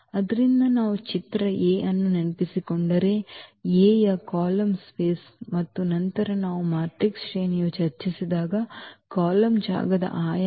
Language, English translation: Kannada, So, if we remember the image A is the column space of A and then the dimension of the column space when we have discussed the rank of the matrix